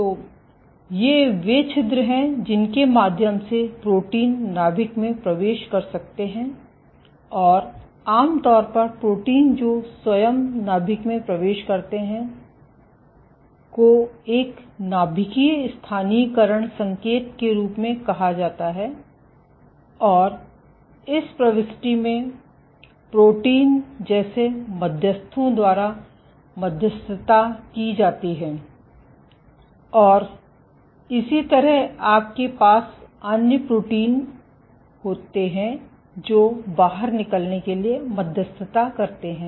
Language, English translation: Hindi, So, these are the holes through which proteins can enter and exit the nucleus and typically proteins, which entered the nucleus by themselves, have what is called as a nuclear localization signal and this entry is mediated by proteins like importins and similarly you have other proteins which mediate the exit ok So, it is now emerging that there are 100 to 1000s of nuclear envelope proteins, trans membrane proteins ok